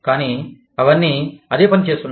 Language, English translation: Telugu, But, they are all doing, the same thing